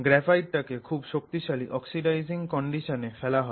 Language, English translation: Bengali, So, graphite is taken and then you subject it to very strong oxidizing conditions